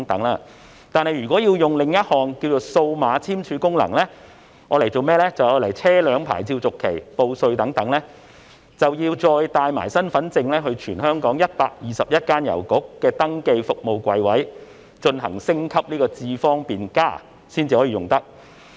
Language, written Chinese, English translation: Cantonese, 然而，如果要使用另一項數碼簽署功能，作車輛牌照續期、報稅等用途，便要帶同身份證到全港121間郵局的登記服務櫃位，升級至"智方便+"，然後才能使用。, However if I want to use the digital signing function for such purposes as renewal of vehicle licences and filing tax return I have to bring along my identity card and go to the registration service counter located at any of the 121 post offices in Hong Kong for an upgrade to iAM Smart . Only then can I use it . Actually when people register for iAM Smart they already need to use their mobile phones to scan their identity cards